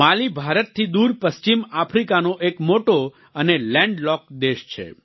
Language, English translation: Gujarati, Mali is a large and land locked country in West Africa, far from India